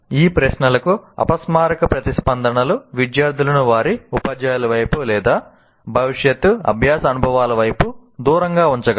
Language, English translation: Telugu, And unconscious responses to these questions can turn the students toward or away from their teachers and future learning experiences